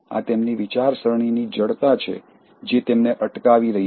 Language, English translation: Gujarati, It’s their rigidity of thinking that is stopping them